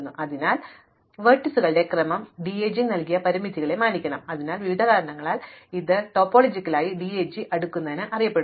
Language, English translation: Malayalam, So, the order of vertices in the final sequence must respect the constraints given by the DAG, so for various reasons this is known as topologically sorting the DAG